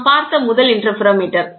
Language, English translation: Tamil, The first interferometer what we saw